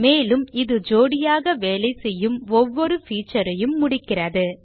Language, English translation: Tamil, It also completes every feature that works in pairs